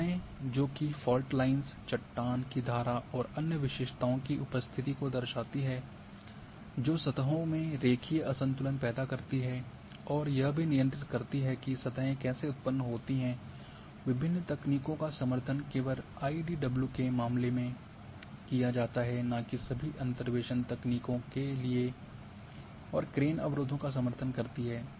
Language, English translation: Hindi, So,barriers which reflects the presence of fault lines cliff streams and other features that creates linear discontinuity in the surfaces and also controls how surfaces are generated, not for all interpolation techniques various are supported only in case of IDW and crane supports the barriers